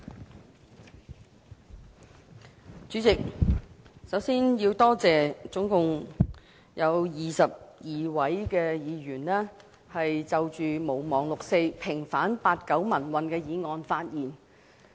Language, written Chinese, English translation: Cantonese, 代理主席，首先，我要多謝合共22位議員就"毋忘六四"、平反八九民運的議案發言。, Deputy President first of all I would like to thank the 22 Members for speaking on the motion on Not forgetting the 4 June incident and vindication of the 1989 pro - democracy movement